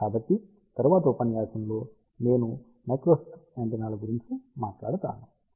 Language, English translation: Telugu, So, in the next lecture I will talk about microstrip antennas till then bye